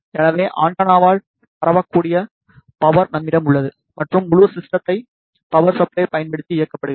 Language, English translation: Tamil, So, that we have enough power transmitted by the antenna and entire system is powered using a power supply